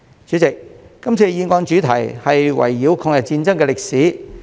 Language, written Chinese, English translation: Cantonese, 主席，今次議案的主題圍繞抗日戰爭的歷史。, President the theme of this motion is the history of the War of Resistance